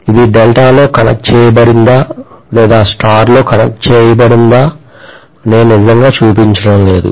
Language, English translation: Telugu, I am not really showing whether it is Delta connected or star connected, it does not matter